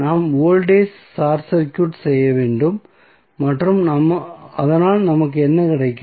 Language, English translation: Tamil, We have to short circuit the voltage so what we will get